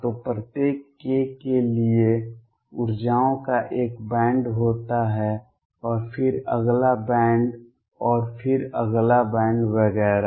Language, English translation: Hindi, So, for each k there is a band of energies and then the next band and then next band and so on